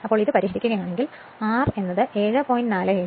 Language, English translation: Malayalam, So, from which if you solve, you will get R is equal to 7